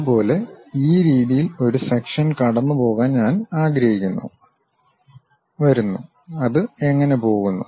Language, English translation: Malayalam, Similarly, I would like to pass a section in this way, comes goes; how it goes